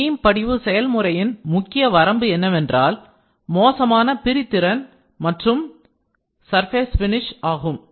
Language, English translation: Tamil, The main limitation of the beam deposition process are poor resolution and surface finish